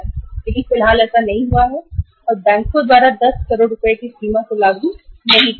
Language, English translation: Hindi, But at the moment it has not happened and that threshold level of the 10 crores has not been implemented by the banks